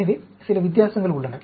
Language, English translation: Tamil, So, some difference is there